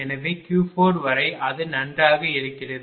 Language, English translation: Tamil, So, up to Q 4 it is fine, up to Q 4 it is fine